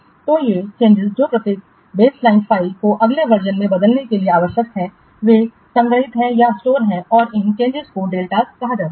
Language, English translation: Hindi, The changes needed to transform each baseline file to the next version are stored and are called delta